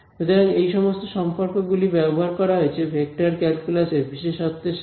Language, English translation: Bengali, We will use some properties from vector calculus